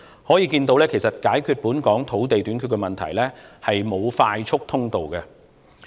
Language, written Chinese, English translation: Cantonese, 可見解決本港土地短缺問題是沒有快速通道的。, It can thus be seen that there is no fast - track in solving the problem of land shortage in Hong Kong